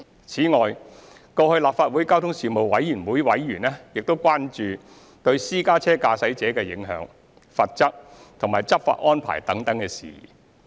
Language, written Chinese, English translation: Cantonese, 此外，過去立法會交通事務委員會委員亦關注對私家車駕駛者的影響、罰則及執法安排等事宜。, Besides Panel members previously raised concerns on such issues as the impact on private car drivers penalties and enforcement arrangements